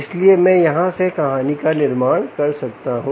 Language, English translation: Hindi, so this: i can build the story from here